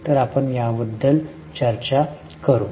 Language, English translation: Marathi, So, we will discuss about the same